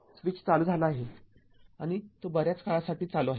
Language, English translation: Marathi, So, when the switch was open for a long time